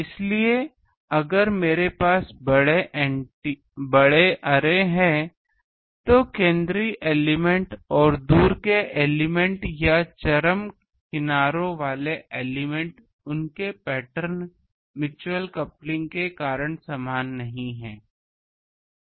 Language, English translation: Hindi, So, if I have an large array, so the central elements and the far away elements or the extreme edges element their pattern is not same because of mutual coupling